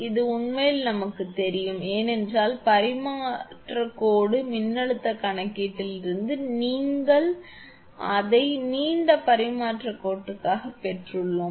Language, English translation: Tamil, This is actually known to us because from transmission line voltage calculation, we have derived it for long transmission line